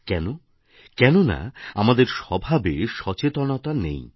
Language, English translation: Bengali, Because by nature, we are not conscious